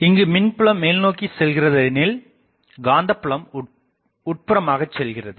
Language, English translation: Tamil, The electric field is this directed; electric field is this directed, the magnetic field is going inside